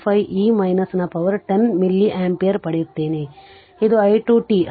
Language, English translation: Kannada, 25 e to the power minus 10 milli ampere this is i 2 t